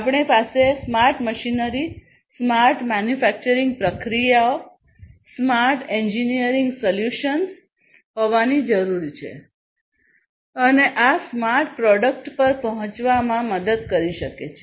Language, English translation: Gujarati, We need to have smart machinery, we need to have smart manufacturing processes, we need to have smart engineering solutions, and these can help in arriving at the smart product